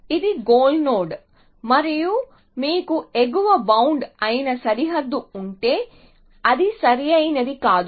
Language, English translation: Telugu, This is a goal node and if you have a boundary which is the upper bound well that is not quite correct